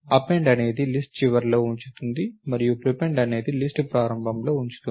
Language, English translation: Telugu, Append is put it to the end of the list and prepend is put it at the beginning of the list